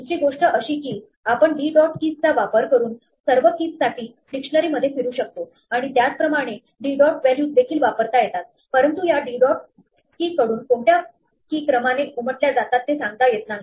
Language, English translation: Marathi, The other thing is that we can use d dot keys to cycle through all the keys in the dictionary, and similarly d dot values, but the order in which these keys emerge from d dot keys is not predictable